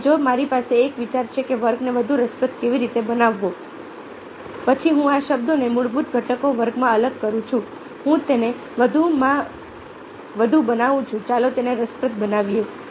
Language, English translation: Gujarati, so if i have an idea how to make a class more interesting, then i separate this words in to ah, the basic components, class